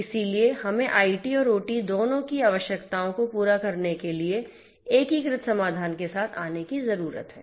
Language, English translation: Hindi, So, we need to come up with an integrated solution for catering to the requirements of both IT and OT